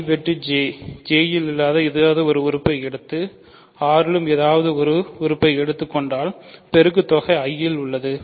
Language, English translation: Tamil, If you take something in I intersection J and take something in R the product is in I the product is also in J